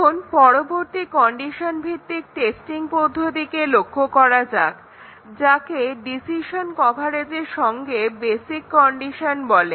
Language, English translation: Bengali, Now, let us look at the next condition based testing called as basic condition with decision coverage